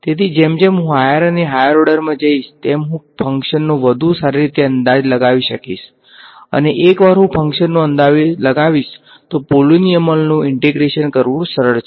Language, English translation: Gujarati, So, as I go to higher and higher order I will be able to better approximate the function and once I approximate the function integrating a polynomial is easy